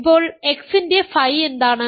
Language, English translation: Malayalam, Now, what is phi of x